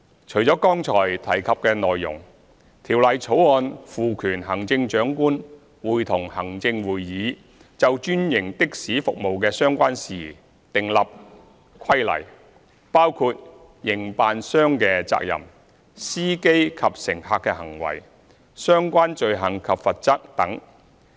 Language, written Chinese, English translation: Cantonese, 除了剛才提及的內容，《條例草案》賦權行政長官會同行政會議，就專營的士服務的相關事宜訂立規例，包括營辦商的責任、司機及乘客的行為，以及相關罪行及罰則等。, Apart from what was mentioned just now the Bill confers on the Chief Executive in Council the power to make regulations in relation to franchised taxi services including the duties of operators the conduct of drivers and passengers and the relevant offences and penalties